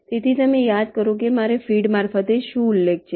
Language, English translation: Gujarati, so recall i mention what is the feed through